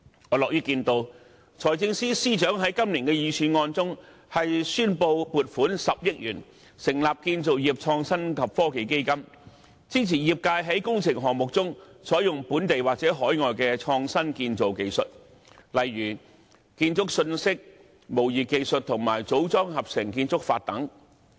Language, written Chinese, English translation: Cantonese, 我樂於看到財政司司長在今年的預算案中宣布撥款10億元成立建造業創新及科技基金，支持業界在工程項目中採用本地或海外的創新建造技術，例如建築信息模擬技術和組裝合成建築法等。, I am glad to see the Financial Secretary announce in this years Budget the allocation of 1 billion to setting up a Construction Innovation and Technology Fund to support the industry in using local and overseas innovative construction technologies such as building information modelling BIM technology and Modular Integrated Construction